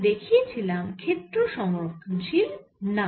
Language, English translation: Bengali, we showed the non conservative nature of the field